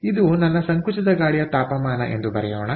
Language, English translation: Kannada, this is my compressed air temperature